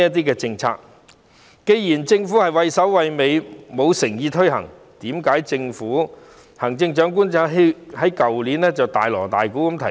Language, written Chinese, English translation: Cantonese, 既然政府畏首畏尾，沒有誠意推行，為甚麼政府和行政長官去年卻大鑼大鼓地提出？, Given that the Government is overcautious and in lack of sincerity in this measure why did the Government and the Chief Executive introduce it with great fanfare last year?